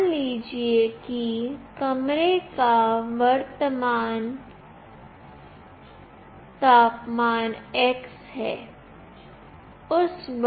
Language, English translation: Hindi, Suppose the current temperature of the room is x